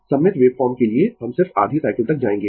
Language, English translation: Hindi, For symmetrical waveform, we will just go up to your half cycle